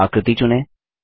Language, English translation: Hindi, Select the shape